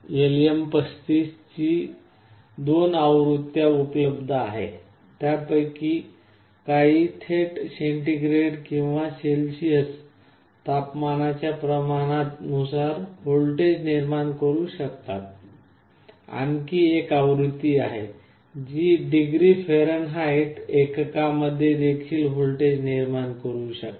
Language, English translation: Marathi, There are two versions of LM35 available, some of them can directly generate a voltage proportional to the temperature in degree centigrade or Celsius, there is another version that can also give in degree Fahrenheit